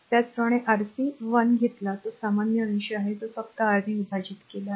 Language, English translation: Marathi, Similarly when you take Rc 1 that numerator is common right divided by only R 3 very simple